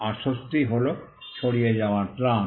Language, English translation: Bengali, And the relief was the relief of passing off